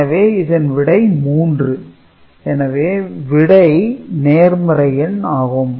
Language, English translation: Tamil, So, this is 3 and the result is positive